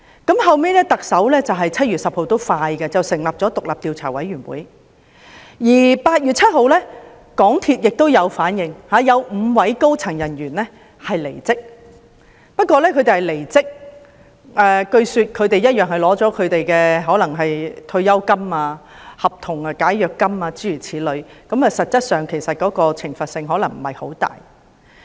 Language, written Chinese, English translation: Cantonese, 特首後來在7月10日成立了獨立調查委員會，而香港鐵路有限公司在8月7日亦作出回應，有5位高層人員離職，但據說他們仍然領取了退休金、解約金等，實質上懲罰可能不太大。, The Chief Executive subsequently established the independent Commission of Inquiry on 10 July and the MTR Corporation Limited MTRCL made a response on 7 August . Five senior staff members left MTRCL although it was reported that they had still received their pensions and termination payments so the penalty was actually not at all heavy